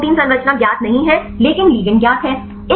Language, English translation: Hindi, If protein structure is not known, but ligands are known